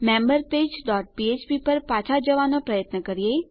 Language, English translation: Gujarati, Trying to go back to our member page dot php